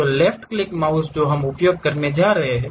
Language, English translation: Hindi, So, the left mouse what we are going to use